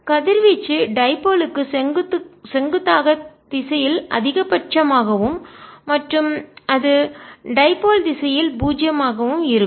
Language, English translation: Tamil, radiation is maximum in the direction perpendicular to the dipole and it is zero in the direction of the dipole